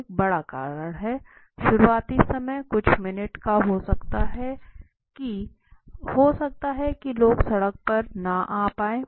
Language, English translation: Hindi, There is a big reason initial time may be first few minutes people might not be able to come out on the road right